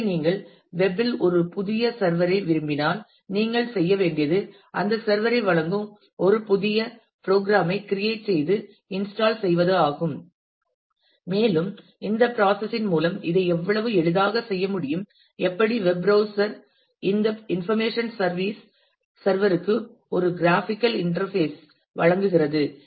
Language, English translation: Tamil, So, if you want a new service on the web then you all that you simply need to do is to create and install a new program that will provide that service and through this process we will see how easily this can be done and how web browser provides a graphical interface to this information service